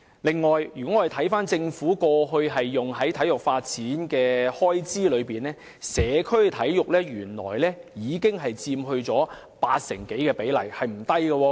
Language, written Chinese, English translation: Cantonese, 此外，當我們看看政府過去用於體育發展的開支，便會發現社區體育的比例原來已超過八成，比例不小。, Besides when we look at the Governments previous expenses on sports development we will find that the proportion of expenses on developing sports in communities is not small as it already accounts for over 80 % of the total expenses